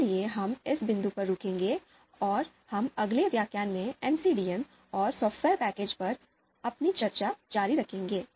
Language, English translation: Hindi, So we will stop at this point and we will continue our discussion on MCDM and the software packages in the next lecture